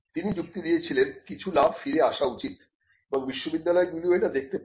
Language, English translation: Bengali, So, she argues that there has to be some profit has to come back, now this is something universities can also look at